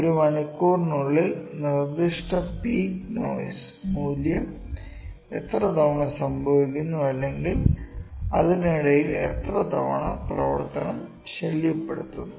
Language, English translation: Malayalam, How many times does the specific peak noise value or sound peak sound value of occurs in an hour or how many times is the setup disturb in between